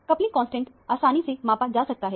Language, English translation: Hindi, The coupling constants can be easily measured